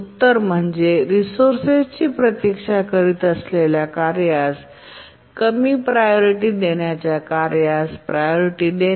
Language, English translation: Marathi, The answer is that make the priority of the low priority task as much as the task that is waiting for the resource